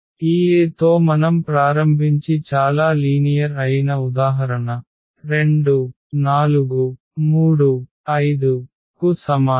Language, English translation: Telugu, So, again very simple example we have started with this A is equal to 2 4 and 3 5